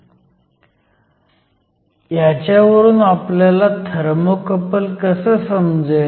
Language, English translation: Marathi, So, how do we use this in order to understand Thermocouples